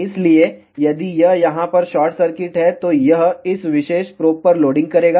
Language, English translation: Hindi, So, if this is short circuit over here, this will do the loading on this particular probe